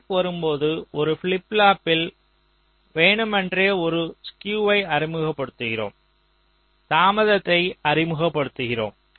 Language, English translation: Tamil, so what you are saying is that in one of the flip flop where the clock is coming, we are deliberately introducing a skew, introducing a delay